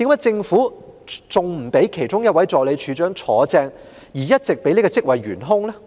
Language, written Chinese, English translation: Cantonese, 政府為何仍然不擢升其中一位助理處長接任，反而一直任由這職位懸空？, Why has the Government allowed this post to remain vacant all the way instead of promoting one of the Assistant Directors to take over?